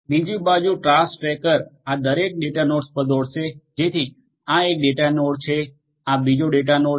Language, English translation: Gujarati, In the task tracker on the other hand will run at each of these data nodes so, this is one data node, this is another data node